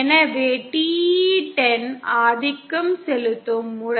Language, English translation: Tamil, So TE 10 is the dominant mode